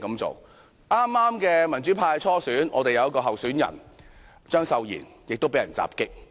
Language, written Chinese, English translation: Cantonese, 在剛過去的民主派初選，有一名候選人張秀賢也被人襲擊。, In the primary election conducted recently by the pro - democracy camp one of the candidates Tommy CHEUNG has also been assaulted